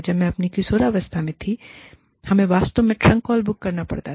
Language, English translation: Hindi, When, I was in my teens, we had to actually book, trunk calls